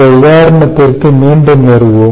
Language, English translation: Tamil, we will come back to this example again